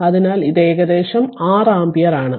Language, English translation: Malayalam, So, it is approximately 6 ampere